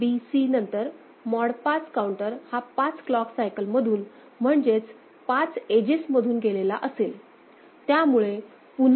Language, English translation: Marathi, After the A, B, C, the mod 5 counter has gone through 5 clock cycles right, 5 clock edges